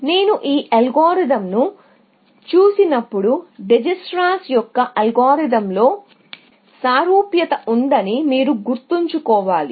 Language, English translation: Telugu, When I look at this algorithm, you must keep in mind, that the similarity with Dijikistra’s algorithm, essentially